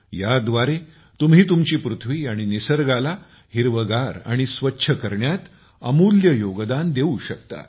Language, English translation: Marathi, Through this, you can make invaluable contribution in making our earth and nature green and clean